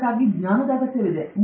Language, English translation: Kannada, For this, knowledge is required